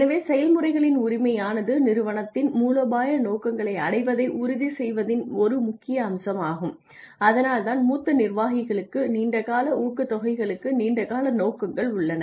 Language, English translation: Tamil, So, ownership of processes is an essential element in ensuring the achievement of strategic objectives of the organization and that is why we have long term objectives for senior long sorry long term incentives for senior executives